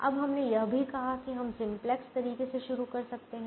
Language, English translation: Hindi, now we also said we could have started the simplex way